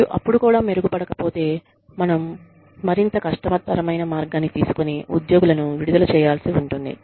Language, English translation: Telugu, And, if even then, they do not improve, then maybe, we have to take the more difficult route, and discharge the employees